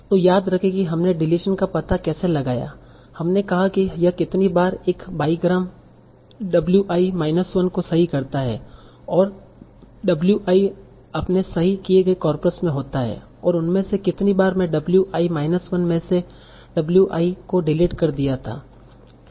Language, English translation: Hindi, We said how many times this character biogram, w i minus 1 and w i occur in my corrected corpus and among those how many times w i was deleted after w i minus 1